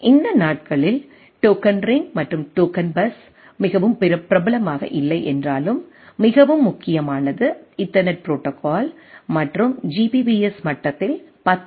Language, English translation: Tamil, Though these days token ring and token bus are not so popular, so most predominant is the Ethernet protocol and we have from 10 mbps 100 mbps and Giga byte Ethernet at the Gbps level